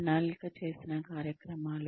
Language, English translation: Telugu, The programs are planned